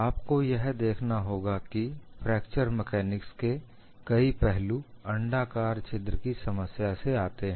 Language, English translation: Hindi, What you will have to look at is many aspects in fracture mechanics come from your problem of elliptical hole